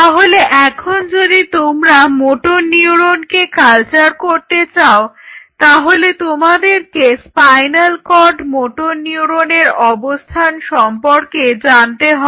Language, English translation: Bengali, So, now if you want to culture motor neurons you have to know the location of the motor neuron spinal cord motor neurons